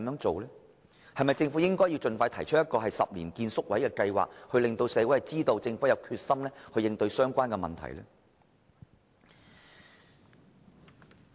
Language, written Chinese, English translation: Cantonese, 政府是否應該盡快提出興建宿位的10年計劃，讓社會知道政府有決心應對有關問題？, Should the Government expeditiously formulate a 10 - year plan for the provision of residential care places to show the community its determination to address the issue?